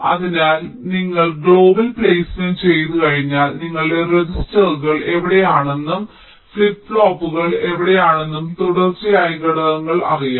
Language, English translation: Malayalam, so once you have done global placement, you know where your registers are, where your flip pops are, the sequential elements